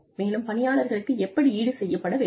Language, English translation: Tamil, And, how people are to be compensated